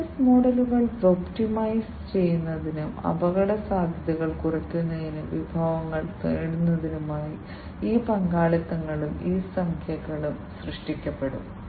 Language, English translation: Malayalam, And these partnerships and these alliances will be created to optimize the business models, to reduce the risks, and to acquire the resources